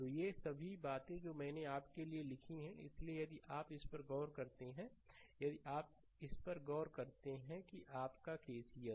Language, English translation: Hindi, So, all these things I wrote for you; so, if you look into this if you look into this that your your KCL 1